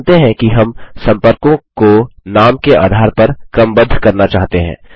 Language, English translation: Hindi, Lets suppose we want to sort contacts by name